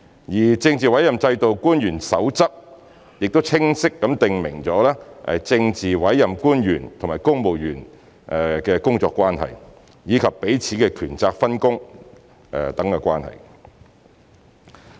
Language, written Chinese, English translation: Cantonese, 而《政治委任制度官員守則》亦已清晰訂明政治委任官員與公務員的工作關係，以及彼此的權責分工等關係。, The Code for Officials under the Political Appointment System has set out clearly the working relationship between politically appointed officials and the civil service as well as their obligations and the division of duties and responsibilities between the two